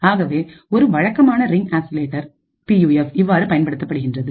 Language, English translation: Tamil, So, this is how a typical Ring Oscillator PUF is used